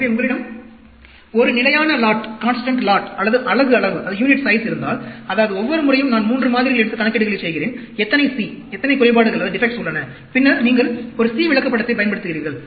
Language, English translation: Tamil, So, if you have a constant lot or unit size, that means every time I take 3 samples and do calculations, how many C, how many defects are there, then you use a C chart